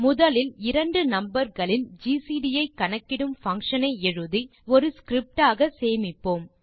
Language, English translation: Tamil, Let us first write a function that computes the gcd of two numbers and save it in a script